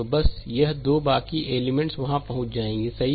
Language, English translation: Hindi, So, just this 2 will go rest of the elements will be there, right